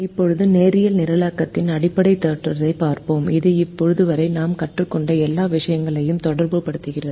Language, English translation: Tamil, we look at the fundamental theorem of linear programming, which relates all the things that we have learnt till now